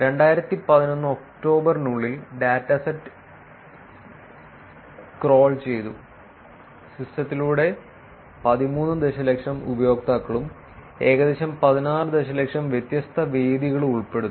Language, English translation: Malayalam, Dataset crawled between October 2011, through the system and it comprises of 13 million users and about close to 16 million different venues